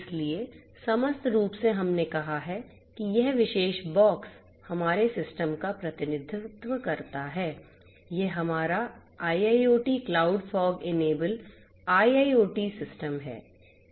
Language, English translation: Hindi, So, holistically we have let us say that this particular box representing our system right, this is our IIoT cloud fog enabled IIoT system